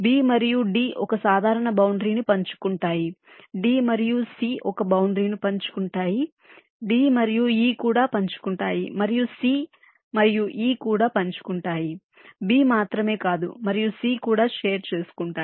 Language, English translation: Telugu, b and d is sharing a common boundary, d and c is sharing a boundary, d and e is also sharing, and c and e is also sharing